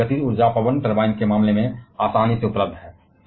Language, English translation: Hindi, And this kinetic energy is readily available in case of wind turbine